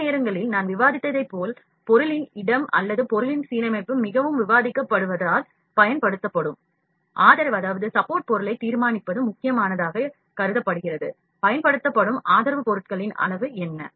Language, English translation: Tamil, Sometime,s like I discussed like we have discussed as the placement of the object or the alignment of the object in is very important in deciding the support material that is used, what is the amount of support material that is used